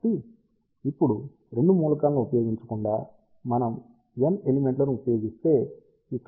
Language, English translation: Telugu, So, now instead of using 2 elements, if we use N elements so, here are N elements